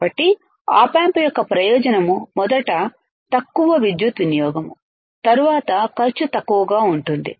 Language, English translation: Telugu, So, the advantage of op amp is first is low power consumption, then cost is less